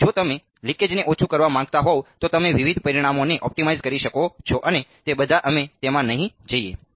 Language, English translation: Gujarati, So, then you can optimize various parameters if you want to minimize the leakage and all of that we would not go into that